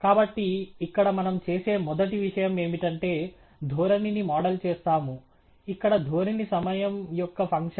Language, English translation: Telugu, So, here the first thing that we would do is we would model the trend, where the trend is a function of time